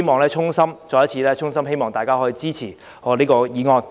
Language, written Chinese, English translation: Cantonese, 我衷心希望大家可以支持我的議案。, I sincerely hope that Members can support my motion